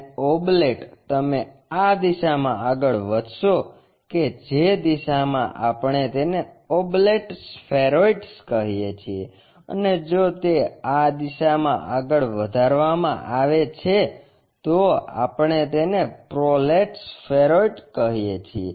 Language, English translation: Gujarati, And, oblate you will have pushed in this direction elongates in that direction we call oblate spheroids, and if it is extended in that direction pushed in this direction we call that as prolates spheroids